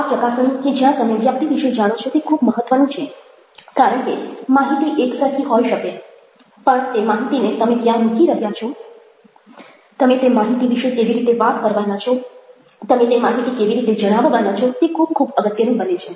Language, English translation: Gujarati, you get to know that person and this assessment, where you are learning about the person, is very important because the information might be the same, but how you are going to position the information, how you are going to talk about that information, how you are going to share that information, becomes very, very important